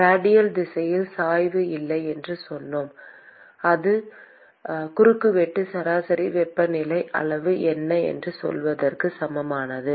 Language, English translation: Tamil, We said that there is no gradient in the radial direction which is equivalent to saying that it is a cross sectionally average temperature quantity